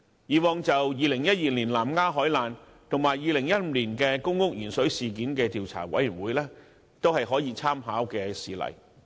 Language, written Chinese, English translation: Cantonese, 以往就2012年南丫島海難事件和2015年公屋鉛水事件成立的調查委員會，都是可以參考的事例。, Examples of commission of inquiry previously set up include the inquiry into the marine disaster near Lamma Island in 2012 and the lead - in - water incident in 2015